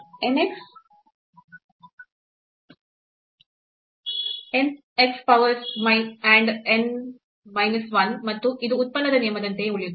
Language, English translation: Kannada, So, n x power n minus 1 and this is remain as it is here product rule